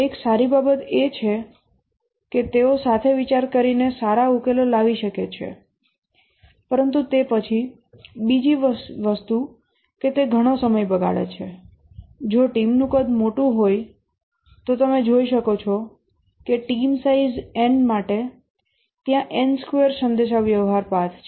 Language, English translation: Gujarati, One good thing is that they can brainstorm come up with good solutions but then the other thing that it wastes a lot of time and specially if the team size is large you can see that there are for a theme size of n, there are n square communication path